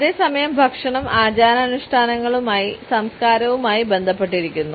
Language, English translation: Malayalam, At the same time we find that food is linked essentially with rituals and with culture